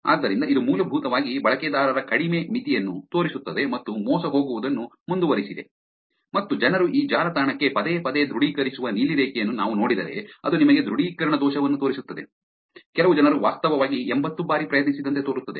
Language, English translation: Kannada, So, this is basically showing you the lower bound of users to fall and continued to be deceived and if you we look the blue line which is people are actually authenticating to this website repeatedly, even it is actually showing you that authentication error, some people actually seem to tried to 80 times